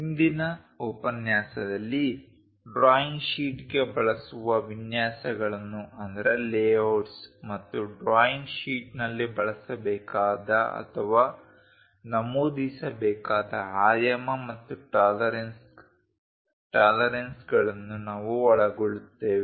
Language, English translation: Kannada, In today's lecture we will cover what are the layouts to be used for a drawing sheet and dimensioning and tolerances to be used or mentioned in a drawing sheet